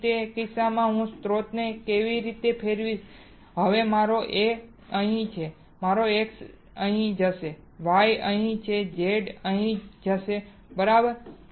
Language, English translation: Gujarati, Then in that case I will rotate the source in such a way that now my A will be here, my X will go here,Y will go here Z will go here right